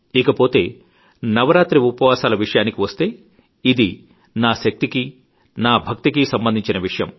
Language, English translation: Telugu, As far as the navaraatri fast is concerned, that is between me and my faith and the supreme power